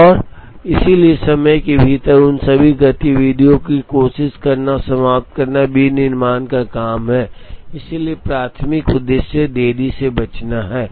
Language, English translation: Hindi, And therefore, it is the job of manufacturing to try and finish all their activities within time, so the primary objective is to avoid delays